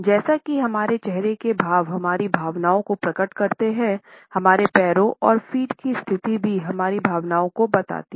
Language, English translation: Hindi, As our facial expressions reveal our feelings; our legs and position of the feet also communicates our feelings